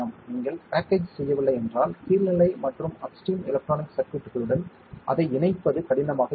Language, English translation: Tamil, If you do not package, it will be difficult to interface it with a downstream and upstream electronic circuits